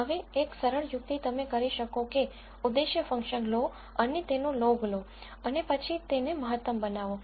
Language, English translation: Gujarati, Now, one simple trick you can do is take that objective function and take a log of that and then maximize it